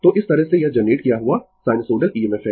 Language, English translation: Hindi, So, this way this is the sinusoidal EMF generated